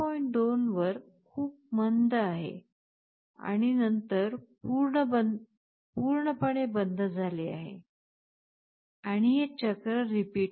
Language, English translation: Marathi, 2 very light and then totally OFF; and this cycle repeats